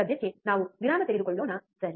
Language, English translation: Kannada, For now, let us take a break, alright